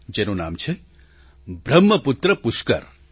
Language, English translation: Gujarati, It's called Brahmaputra Pushkar